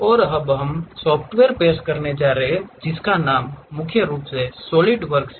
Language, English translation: Hindi, And now, we are going to introduce about a software, mainly named solidworks